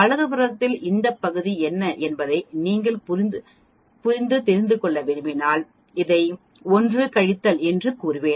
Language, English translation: Tamil, If you want to know what is this area on the right side I will say 1 minus this